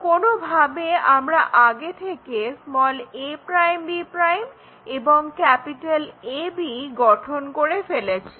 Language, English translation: Bengali, Somehow, we have already constructed a' b' and AB